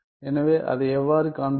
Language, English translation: Tamil, So, how to show that